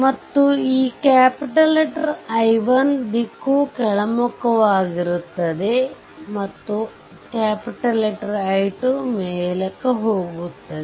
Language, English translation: Kannada, So, this I 1 is downwards right and this small i 2 upwards